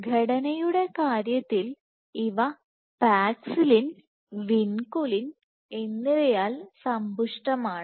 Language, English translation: Malayalam, So, in terms of composition these are enriched in Paxillin and Vinculin